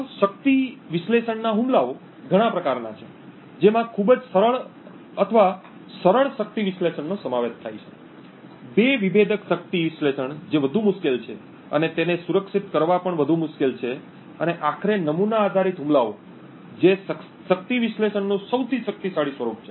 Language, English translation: Gujarati, So there are various types of power analysis attacks ranging from very simple or the simple power analysis, two differential power analysis which is far more difficult and also far more difficult to protect and finally the template based attacks which is the most powerful form of power analysis attacks